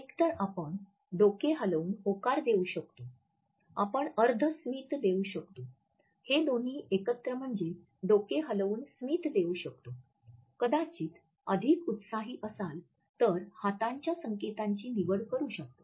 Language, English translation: Marathi, Either we can give a nod, we can give half a smile, we can combined that nod in this smile, we might choose to be more enthusiastic and pass on any type of hand signals also